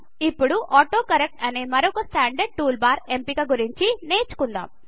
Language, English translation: Telugu, Let us now learn about another standard tool bar option called AutoCorrect